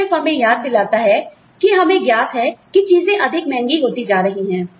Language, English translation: Hindi, That just reminds us that, we are aware that, things are becoming more expensive